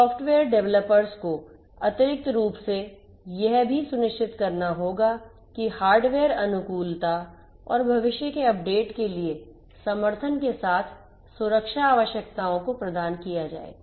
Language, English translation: Hindi, The software developers will also additionally have to ensure that the security requirements with hardware compatibility and support for future updates are provided